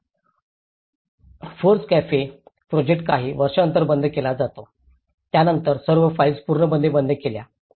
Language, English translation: Marathi, These FORECAFE the project is closed after a few years, then it completely closed all the files everything